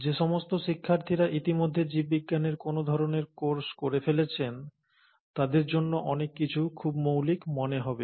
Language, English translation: Bengali, So for those students who have already taken some sort of a course in biology, a lot of things will sound very fundamental